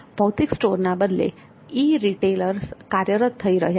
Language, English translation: Gujarati, Physical stores have been replaced by e retailers